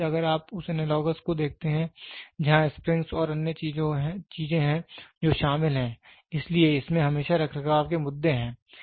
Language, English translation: Hindi, So, today if you see the analogous where there are springs and other things which are involved, so it always has maintenance issues